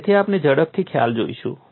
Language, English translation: Gujarati, So, we will just quickly see the concept